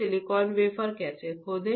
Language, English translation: Hindi, How to etch the silicon wafer